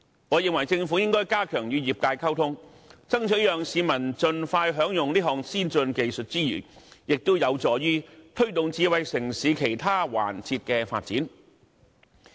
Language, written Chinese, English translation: Cantonese, 我認為政府應該加強與業界溝通，在爭取讓市民盡快享用此項先進技術之餘，亦有助推動智慧城市其他環節的發展。, I think the Government should enhance its communication with the industries which will be conducive to promoting the development of other aspects of a smart city while seeking to enable early use of such an advanced technology by members of the public